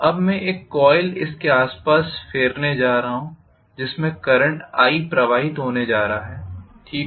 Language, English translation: Hindi, Now I am going to have a coil wound around here which is going to be passed with the current i, fine